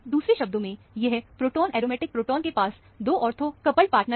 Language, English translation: Hindi, In other words, this proton, aromatic proton, has two ortho coupled partners